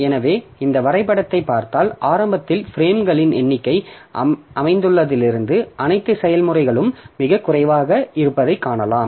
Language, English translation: Tamil, So, if you look into this graph, then you see that initially all the processes in number of frames allocated is very low